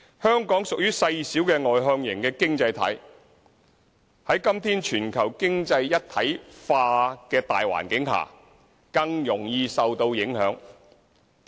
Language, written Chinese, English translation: Cantonese, 香港屬於細小外向型的經濟體，在今天全球經濟一體化的大環境下，更容易受到影響。, Being a small externally - oriented economy Hong Kong is easily affected by the general trend of economic globalization nowadays